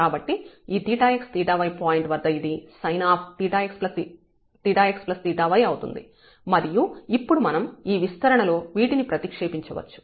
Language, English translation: Telugu, So, at theta x point this will become as theta x plus theta y and now we can substitute here in this expansion